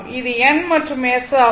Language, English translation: Tamil, So, here it is N S, N S